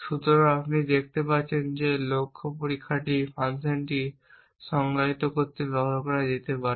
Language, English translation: Bengali, So, you can see that this can be use to define the goal test function that have be reach the goal or not